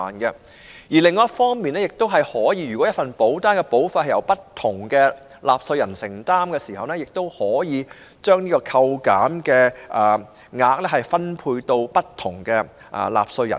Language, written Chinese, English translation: Cantonese, 此外，如果一份保單的保費由不同納稅人承擔，亦可以把扣減額分配給不同納稅人。, Furthermore if the premiums of a policy are paid by a number of taxpayers the deduction can be distributed among them